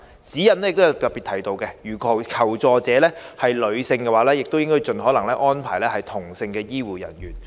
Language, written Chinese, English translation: Cantonese, 《指引》亦特別提到，如求助者是女性的話，應盡可能安排同性的醫護人員。, The Guidelines also particularly mention that if the person seeking help is female she should be attended by health care personnel of the same gender as far as possible